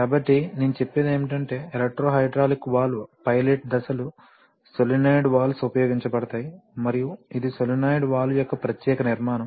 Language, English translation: Telugu, So, what I was saying is that the electro hydraulic valve pilot stages the solenoid valves are used and this is a particular construction of the solenoid valve